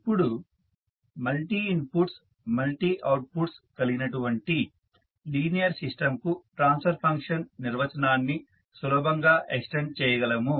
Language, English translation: Telugu, Now, the definition of transfer function is easily extended to linear system with multiple inputs and outputs